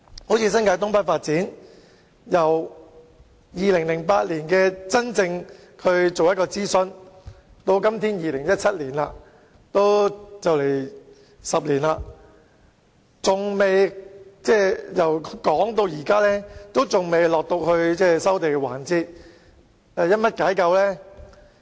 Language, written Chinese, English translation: Cantonese, 正如新界東北發展，由2008年進行諮詢至現在2017年，已差不多10年，但仍未到達收地環節。, Take the case of North East New Territories development as an example . Almost a decade after the initial consultation in 2008 the project still has not reached the land resumption stage in 2017